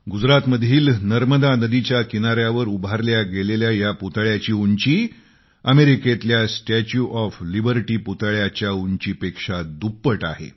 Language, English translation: Marathi, Erected on the banks of river Narmada in Gujarat, the structure is twice the height of the Statue of Liberty